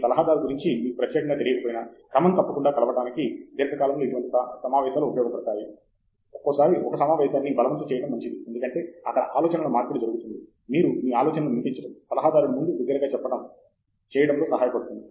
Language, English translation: Telugu, I think it helps in the long run to meet regularly even if your advisor is not particular about meeting, it’s good to force a meeting once in a while because there the exchange of ideas, just you voicing out the idea, just saying it out loud in front of an advisor helps a lot in clearing things in your head